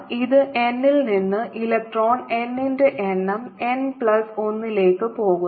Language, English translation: Malayalam, this is from going from n equal to number of electron, n to n plus one